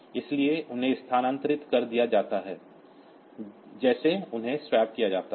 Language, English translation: Hindi, So, they are shifted they are swapped like this